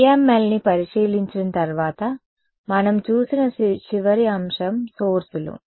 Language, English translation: Telugu, After having looked at PML’s the last aspect that we looked at was sources right